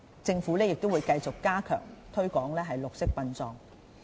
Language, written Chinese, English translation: Cantonese, 政府亦會繼續加強推廣綠色殯葬。, And the Government will continue to step up promotion of green burial